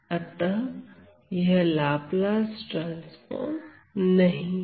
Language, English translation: Hindi, So, this is not a Laplace transform